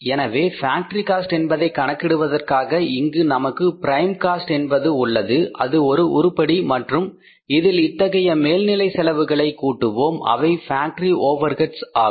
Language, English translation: Tamil, So for calculating the factory cost if you calculate the factory cost we have the prime cost here that is one item and in this we will add these overheads which are factory overheads so we will arrive at the say factory cost or the works cost